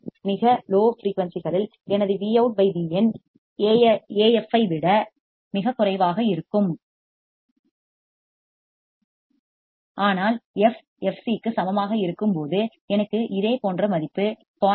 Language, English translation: Tamil, At very low frequencies my Vout by Vin will be extremely less than Af, but when f equals to fc, I will have the similar value 0